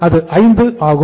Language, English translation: Tamil, This is 5